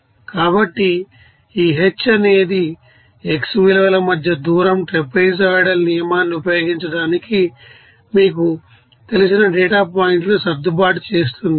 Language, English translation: Telugu, So, this h is the distance between the x values are adjusting data points that you know observed to use the trapezoidal rule